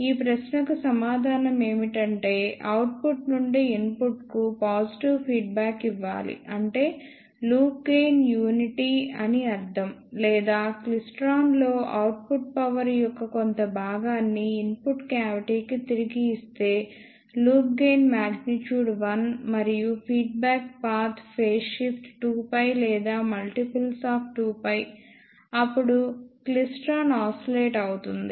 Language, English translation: Telugu, The answer to this question is that we need to give positive feedback from output to input such that the loop gain is unity or we can say for a klystron if a fraction of output power is feedback to the input cavity such that the loop gain magnitude is 1 and the feedback path phase shift is 2 pi or multiple of 2 pi, then the klystron will oscillate